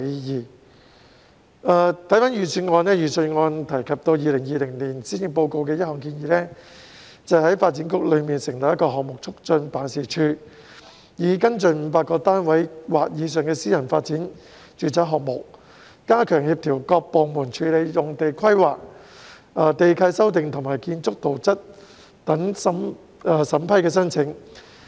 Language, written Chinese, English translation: Cantonese, 看回預算案，當中提及2020年施政報告的一項建議，即在發展局中成立項目促進辦事處，以跟進500個單位或以上的私人發展住宅項目，加強協調各部門處理用地規劃、地契修訂和建築圖則等審批申請。, Let us look back at the Budget which has mentioned one proposal of the 2020 Policy Address that is setting up the Development Projects Facilitation Office the Office in DEVB to facilitate the processing of planning lease modification and building plan applications etc . for private residential development projects with a yield of 500 flats or more by enhancing coordination among the departments involved